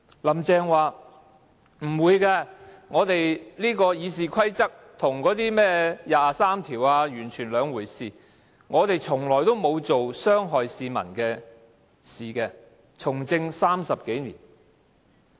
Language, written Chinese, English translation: Cantonese, "林鄭"說，不會的，《議事規則》跟甚麼第二十三條立法完全是兩回事，她從政30多年，從來沒有做傷害市民的事情。, Carrie LAM says that the amendment of the Rules of Procedure and the enactment of legislation to implement Article 23 of the Basic Law are two unrelated matters . She says she has been involved in public administration for more than 30 years and asserts that the Government has never done anything that will harm the people